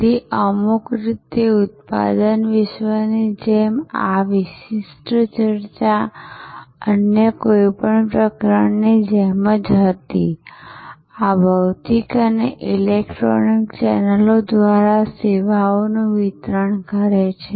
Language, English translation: Gujarati, So, in some way just like in the product world, this particular discussion was like any other chapter, these distributing services through physical and electronic channels